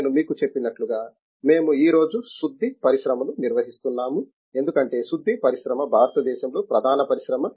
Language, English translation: Telugu, As I told you, we are today refining industry because refining industry is the major industry in India